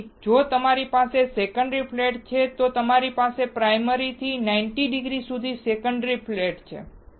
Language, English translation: Gujarati, So, if you have a secondary flat, you have a secondary flat at 90 degree to the primary flat